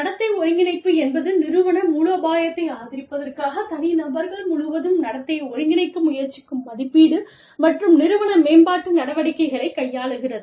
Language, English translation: Tamil, Behavioral coordination deals with, appraisal and organizational development activities, that seek to coordinate behavior across, individuals to support the organizational strategy